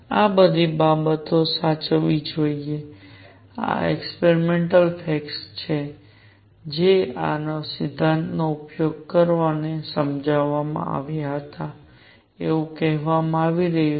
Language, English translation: Gujarati, All these things should be preserved these are experimental facts, which were explained using these principles which are being stated